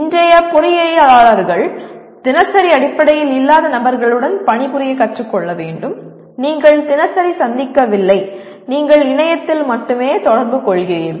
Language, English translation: Tamil, The present day engineers will have to learn to work with people who are not on day to day basis you are not meeting across the table and you are only interacting over the internet